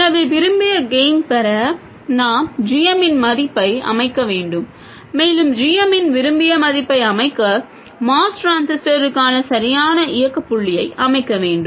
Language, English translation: Tamil, So, to have a desired gain we have to set the value of GM and to set the desired value of GM, we have to set the correct operating point for the MOS transistor